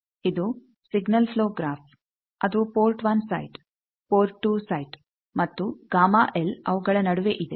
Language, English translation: Kannada, This is the signal flow graph that port 1 site, port 2 site and gamma l in between